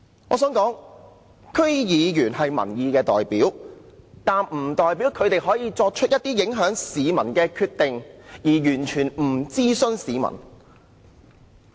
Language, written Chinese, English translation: Cantonese, 我想說的是，區議員是民意代表，但不代表他們可以作出一些影響市民的決定，而完全不諮詢市民。, What I wish to say is that while District Council DC members are representatives of public opinion it does not mean that they can make decisions that will affect the public without consulting their views in advance